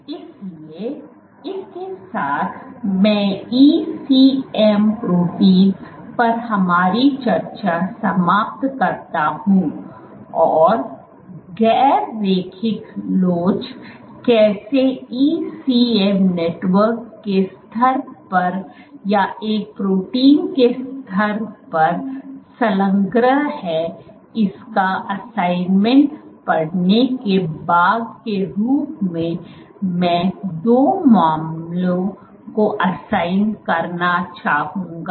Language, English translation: Hindi, So, with that I conclude our discussion on ECM proteins and how non linear elasticity is engrained either at the level of a ECM network or at the level of single proteins